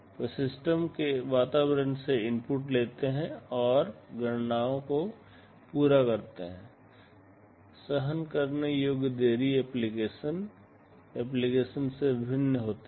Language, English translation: Hindi, They take inputs from the system environment and should carry out the computations; the tolerable delay varies from application to application